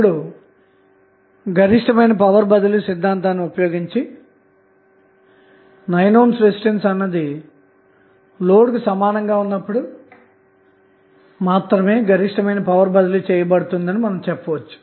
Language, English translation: Telugu, Now, using maximum power transfer theorem, what you can say that the maximum power will be transferred only when the 9 ohm resistance is equal to the load that is Rl